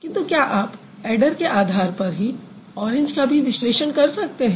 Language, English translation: Hindi, But do you think orange can also be sort of analyzed following the same pattern as adder